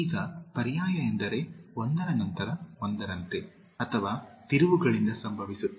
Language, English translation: Kannada, Now alternate means one after other or occurring by turns